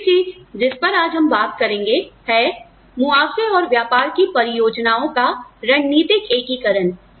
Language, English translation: Hindi, The other thing, that we will talk about today is, strategic integration of compensation plans and business plans